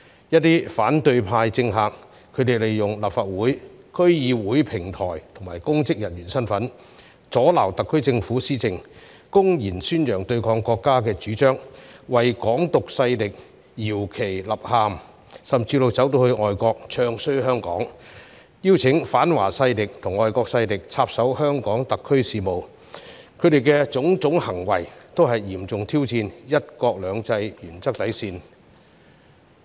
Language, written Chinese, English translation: Cantonese, 一些反對派政客利用立法會和區議會平台及其公職人員身份，阻撓特區政府施政，公然宣揚對抗國家主張，為"港獨"勢力搖旗吶喊，甚至走到外國"唱衰"香港，邀請反華勢力及外國勢力插手香港特區事務，他們的種種行為均嚴重挑戰"一國兩制"原則底線。, Some politicians from the opposition camp used the platforms of the Legislative Council and District Councils as well as their capacity as public officers to obstruct the policy administration of the SAR Government . They openly advocated ideas in opposition to the country and beat the drum for Hong Kong independence forces . They even went abroad to badmouth Hong Kong inviting anti - China and foreign forces to interfere in the affairs of HKSAR